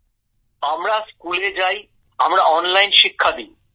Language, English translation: Bengali, We go to schools, we give online education